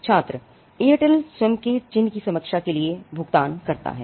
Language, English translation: Hindi, Student: The Airtel pay for the review of the own mark